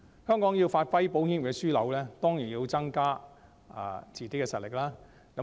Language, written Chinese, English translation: Cantonese, 香港要發揮保險業的樞紐作用，當然要增加自己的實力。, To play a pivotal role of insurance hub Hong Kong certainly has to increase its own strength